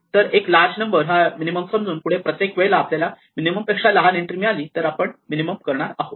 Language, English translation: Marathi, So, what we do is we assume the minimum as some large number and every time we see an entry, if it is smaller than the minimum we reduce it